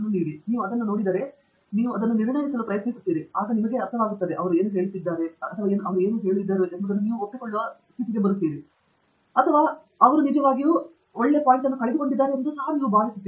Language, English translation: Kannada, So, you look at it, you try to assess it, and then see if that makes sense to you, whether you agree with what they have said or you feel that they have actually missed the point